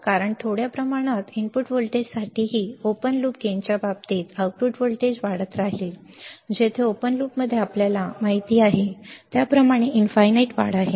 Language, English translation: Marathi, Because even for a small amount of input voltage, the output voltage will keep on increasing in the case of the open loop gain, where the open loop has infinite gain as we know